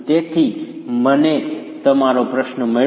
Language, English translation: Gujarati, So I get your question